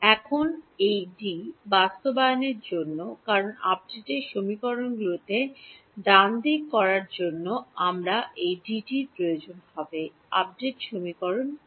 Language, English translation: Bengali, Now, in order to implement this D because I will need this D to put it into the update equations right; what are the update equations